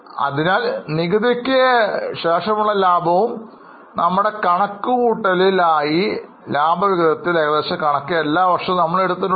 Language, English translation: Malayalam, So, profit after tax and we have taken estimated figures of dividend for all the years just for our calculation sake